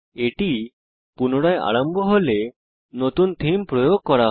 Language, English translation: Bengali, When it restarts, the new themes is applied